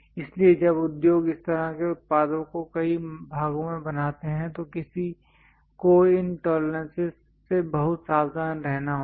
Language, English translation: Hindi, So, when industries make this kind of products in multiplication many parts one has to be very careful with this tolerances